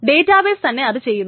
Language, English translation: Malayalam, That's the entire database